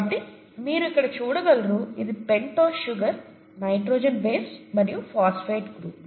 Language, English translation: Telugu, So you can see here this is the pentose sugar, the nitrogenous base and the phosphate group, okay